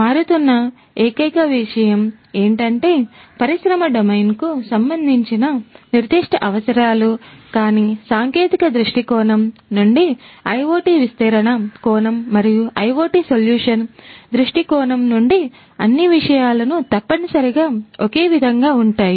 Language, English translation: Telugu, The only thing that changes is basically the industry domain specific requirements, but from a technology point of view, from an IoT deployment point of view and IoT solution point of view things are essentially the same